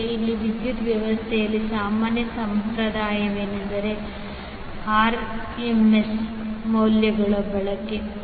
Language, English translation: Kannada, Now, here the common tradition in the power system is, is the use of RMS values